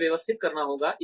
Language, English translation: Hindi, It has to be systematic